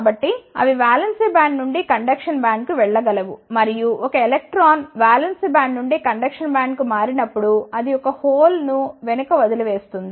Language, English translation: Telugu, So, that they can move from the valence band to the conduction band, and when a electron moves from the valence band to the conduction band it leaves behind a hole